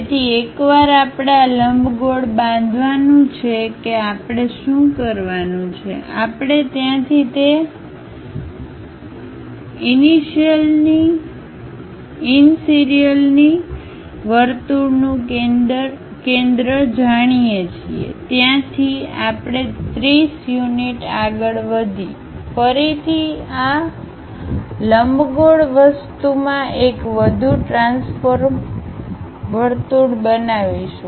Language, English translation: Gujarati, So, once we construct this ellipse what we have to do is, we know the center of that initial circle from there we go ahead by 30 units up, again construct one more transform circle into this elliptical thing